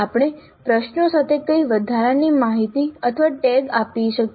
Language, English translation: Gujarati, Now what additional information or tags we can provide with the questions